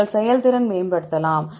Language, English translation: Tamil, And you can optimize the performance